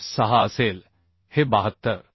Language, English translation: Marathi, 86 this is 72